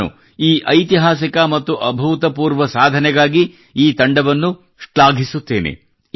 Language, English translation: Kannada, I commend the team for this historic and unprecedented achievement